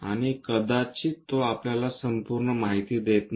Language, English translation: Marathi, And that may not give us complete information